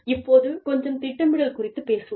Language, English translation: Tamil, Let us talk a little bit about, planning